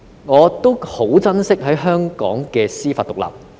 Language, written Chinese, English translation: Cantonese, 我很珍惜香港的司法獨立。, I very much cherish the judicial independence of Hong Kong